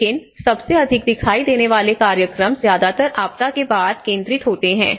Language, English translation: Hindi, But the most visible programs are mostly focused on after the disaster